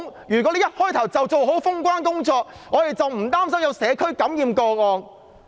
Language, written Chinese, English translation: Cantonese, 如果一開始她便做好封關的工作，我們便無須擔心出現社區感染個案。, Had she implemented border closure from the outset we would not have had to worry about the occurrence of community transmission